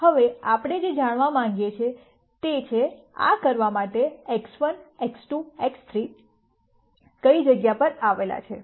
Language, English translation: Gujarati, Now what we want to know is, where do this points X 1, X 2, X 3 lie to do this